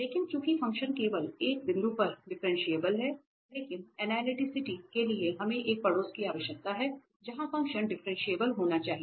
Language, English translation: Hindi, But since the function is differentiable only at one point, but for analyticity we need a neighborhood where the function has to be differentiable